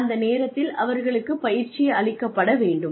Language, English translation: Tamil, And, at that point, the training should be given to them